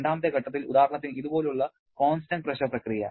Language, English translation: Malayalam, And during the second step, let say constant pressure process like this